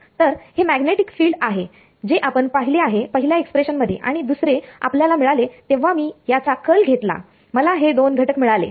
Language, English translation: Marathi, So, this is the magnetic field which we already saw first expression and the second is obtained a sort of when I take the curl of this I get two components